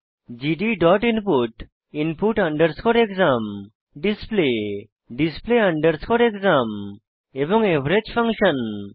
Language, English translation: Bengali, gd.input() input exam display display exam and the average function